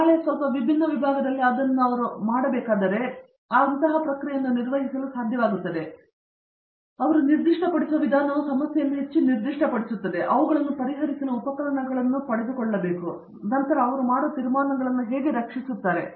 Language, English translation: Kannada, Tomorrow, if they have to do it in a slightly different discipline they will be able to carry over this process, the way which they specify make the problem more specific, that how they like obtained the tools to solve them and then how they defend the conclusions they make